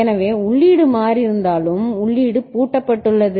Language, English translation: Tamil, So, even if input has changed the input is locked out